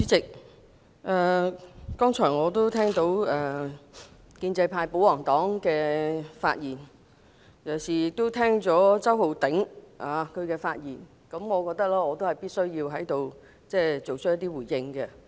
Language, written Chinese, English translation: Cantonese, 主席，剛才聽了建制派保皇黨議員的發言，尤其是周浩鼎議員的發言，我覺得必須在這裏作一些回應。, President having heard the speeches of the pro - establishment royalist Members especially Mr Holden CHOW I think I must make a response